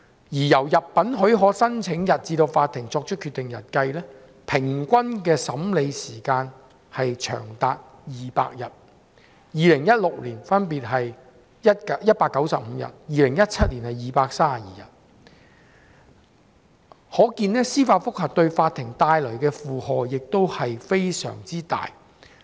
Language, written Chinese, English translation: Cantonese, 由入稟許可申請日至法庭作出決定日的平均審理時間長達200日，分別是2016年的195日及2017年的232日，可見司法覆核為法庭帶來沉重的負荷。, The average processing time from the date of filing of leave application to the date of decision is as long as 200 days namely 195 days in 2016 and 232 days in 2017 indicating that judicial review cases have exerted a heavy burden on the courts